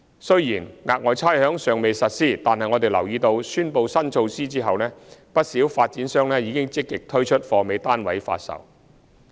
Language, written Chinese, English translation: Cantonese, 雖然額外差餉尚未實施，但我們留意到宣布新措施後，不少發展商積極推出"貨尾"單位發售。, Although Special Rates has not been implemented we note that developers have become more proactive in selling their first - hand private flats in completed projects since the announcement of the new initiative